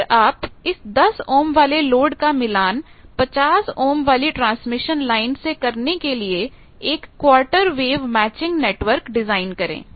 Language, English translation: Hindi, Now, then design a quarter wave matching network to match a 10 ohm load to 50 ohm transmission line